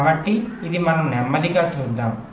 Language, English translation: Telugu, ok, so this we shall see slowly